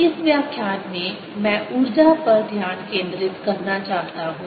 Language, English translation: Hindi, in this lecture i want to focus on the energy